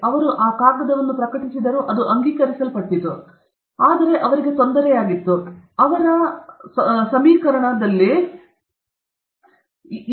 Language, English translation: Kannada, He published that paper; it was accepted, but that bothered him why that minus 1 is coming